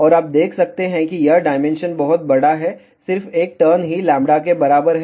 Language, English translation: Hindi, And you can see this dimension is much larger just one turn itself is equal to lambda